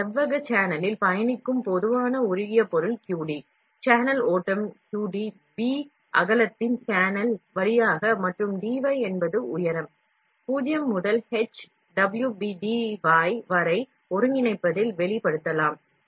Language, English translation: Tamil, So, QD , the generalized molten material traveling down this rectangular channel, the along channel flow, QD ,through the channel of B width, and dy is the height, can be expressed in integrating from 0 to H, WB dy